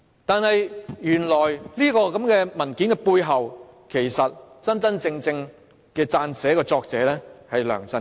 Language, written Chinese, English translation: Cantonese, 但是，原來這份文件背後真正的撰寫人是梁振英。, However it turns out that the document is actually drafted by LEUNG Chun - ying